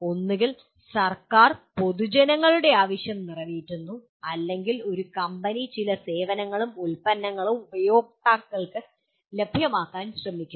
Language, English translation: Malayalam, Either government is meeting the general public’s requirement or a company is trying to make certain services and products available to customers